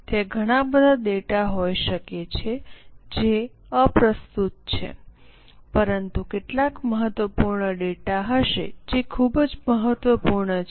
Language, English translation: Gujarati, There may be lot of data which is irrelevant, but there will be some important data which is very, very important